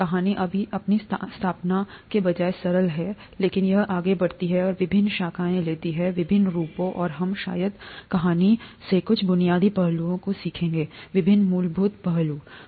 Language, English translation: Hindi, The story is rather simple in its inception but it goes on and it takes various branches, various forms, and we will probably learn some fundamental aspects from the story, various fundamental aspects